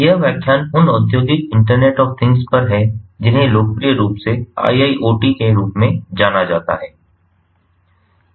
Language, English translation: Hindi, this lecture is on industrial internet of things, which ah is popularly known as iiot